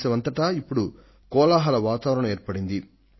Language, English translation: Telugu, An atmosphere has certainly been created in the country